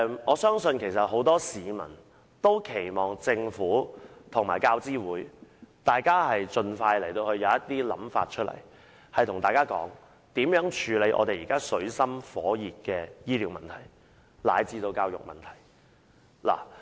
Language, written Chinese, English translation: Cantonese, 我相信很多市民都期望政府與教資會盡快提出建議，處理現時水深火熱的醫療問題及教育問題。, I believe many people expect that the Government and UGC will expeditiously put forward proposals to deal with the distressing health care and education issues